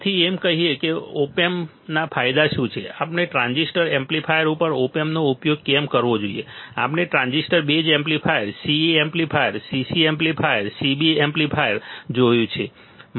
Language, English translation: Gujarati, So, having said that what are the advantages of op amp, why we have to use op amp over transistor amplifier right, we have seen transistor base amplifier C E amplifier, CC amplifier, CB amplifier right